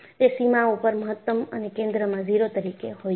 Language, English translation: Gujarati, It is, maximum at the boundary and 0 at the center